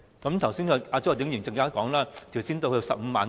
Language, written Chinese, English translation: Cantonese, 剛才周浩鼎議員說，最好提高到 150,000 元。, According to Mr Holden CHOW it would be best if the limit was raised to 150,000